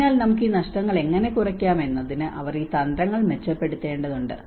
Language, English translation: Malayalam, So they need to improve these strategies how we can reduce these losses